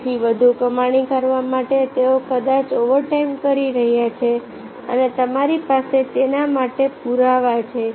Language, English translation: Gujarati, so therefore, in order to are more they maybe they are doing the overtime and you have evidence for that